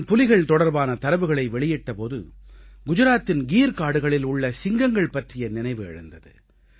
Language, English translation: Tamil, At the time I was releasing the data on tigers, I also remembered the Asiatic lion of the Gir in Gujarat